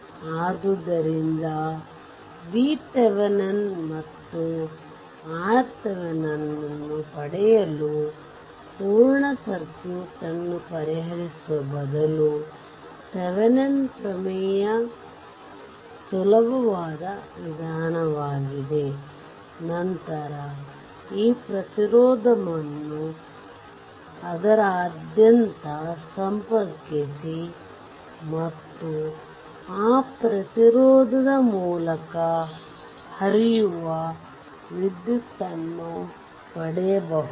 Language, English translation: Kannada, So, it is easy Thevenin’s theorem rather this solving full circuit only obtains V Thevenin and R Thevenin and then, connect that resistance across it and you will get that current flowing through the resistance so, up to 50 ohm resistance